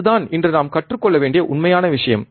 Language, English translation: Tamil, That is the real thing that we need to learn today